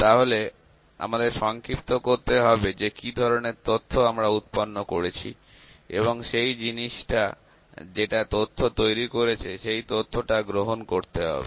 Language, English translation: Bengali, So, we need to summarize what kind of data has we generated and the thing is that from the data, information has to be accepted